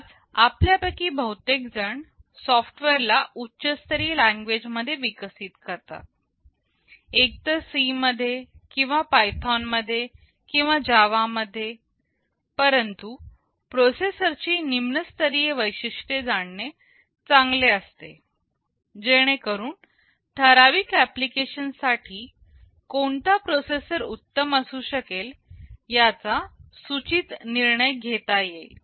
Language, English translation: Marathi, Today most of us develop the software in some high level language, either in C or in Python or in Java, but it is always good to know the lower level features of the processor in order to have an informed decision that which processor may be better for a particular application